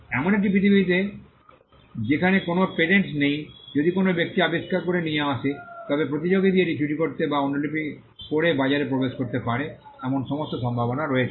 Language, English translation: Bengali, In a world where there are no patents if a person comes out with an invention, there is all likelihood that a competitor could steal it or copy it and enter the market